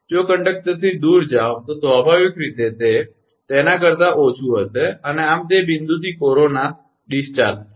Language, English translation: Gujarati, If move away from the conductor, then naturally it will be less than that and thus there will be corona discharge at that point